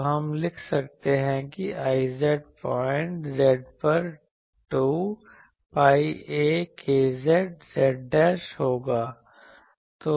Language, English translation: Hindi, So, we can write that I z at a point z dash that will be 2 pi a k z z dashed